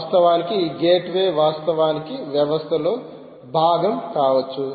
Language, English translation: Telugu, in fact, this gateway can actually be part of the system